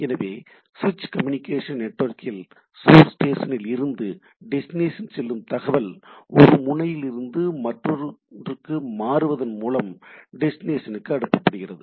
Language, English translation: Tamil, So, in a switch communication network the data entering the network from the source station are routed to the destination via being switched from one node to another, right